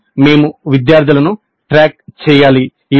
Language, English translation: Telugu, Then of course we must track the students